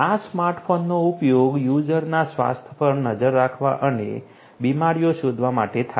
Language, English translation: Gujarati, Smart phone is used to monitor the health of users and detect the diseases